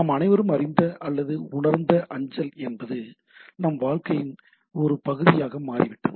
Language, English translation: Tamil, So, mail as we all know or realize is became a part and parcel of our life, right